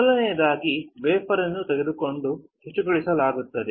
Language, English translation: Kannada, Firstly, the wafer is taken and cleaned